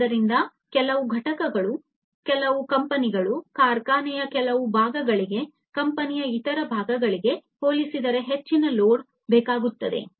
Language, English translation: Kannada, So, certain components, certain companies certain parts of the factory will require more load compared to the other parts of the company